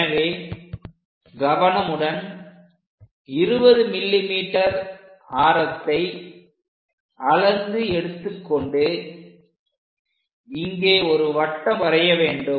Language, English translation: Tamil, So, carefully pick measure 20 mm from here draw a circle